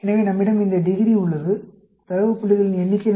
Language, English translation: Tamil, So, we have this degree, the number of data points